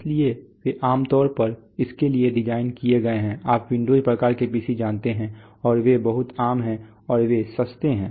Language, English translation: Hindi, So there they are generally designed for this you know kind of Windows kind of PCs and they are very common and they are rather cheap